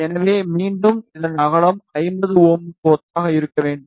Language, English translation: Tamil, So, again the width of this should be corresponding to 50 ohm